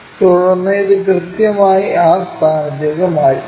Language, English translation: Malayalam, Then, transfer this a point precisely to that location